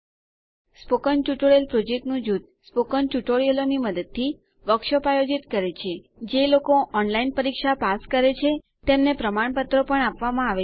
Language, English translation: Gujarati, The spoken tutorial project team conducts workshops using spoken tutorials, gives certificates to those who pass an online test